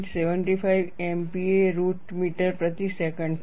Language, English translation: Gujarati, 75 MPa root meter per second